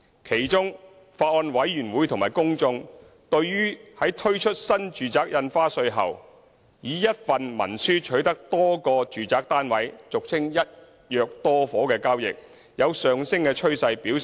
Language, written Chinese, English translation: Cantonese, 其中，法案委員會和公眾強烈關注到，在推出新住宅印花稅後，以一份文書取得多個住宅單位的交易有上升趨勢。, In particular the Bills Committee and the public were gravely concerned about the rising trend of acquisition of multiple residential properties under a single instrument